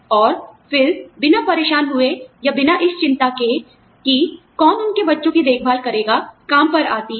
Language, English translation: Hindi, And, then also, come to work without bothering, or without worrying as to, who will look after their children